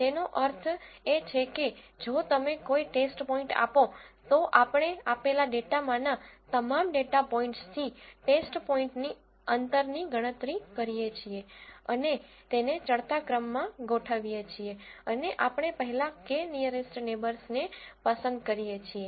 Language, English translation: Gujarati, That means if you give a test point, we calculate the distance of the test point from all the data points in the given data and arrange them in the ascending order and we choose the k first nearest neighbours